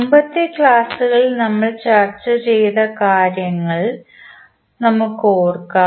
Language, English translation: Malayalam, Let us recollect what we discussed in previous lectures